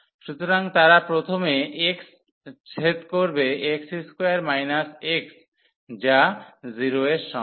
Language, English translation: Bengali, So, they will intersect first of all at x square minus x is equal to 0